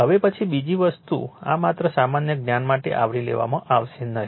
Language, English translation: Gujarati, Now, then another thing this will not cover just for general knowledge